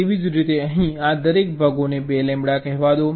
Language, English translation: Gujarati, similarly, here these parts are all, let say, two lambda each